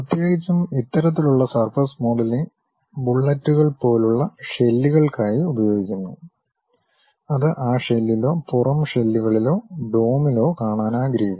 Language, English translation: Malayalam, Especially, this kind of surface modelling is used for shells like bullets you would like to really see it on that shell, outer shells or domes that kind of objects